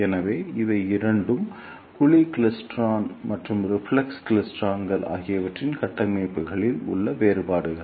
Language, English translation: Tamil, Now, what is the difference in the structures of two cavity klystron and reflex klystron